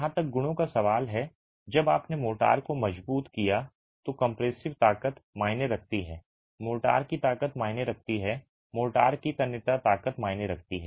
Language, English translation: Hindi, As far as properties are concerned when you have hardened the compressive strength matters, the strength of motor matters, the tensile strength of motor matters